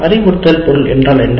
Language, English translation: Tamil, What is the instruction type